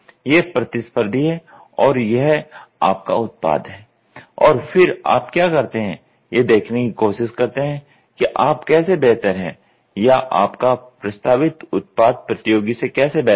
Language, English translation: Hindi, This is competitor and this is your product and then what you do is you try to see how are you better or your proposed product better then the competitor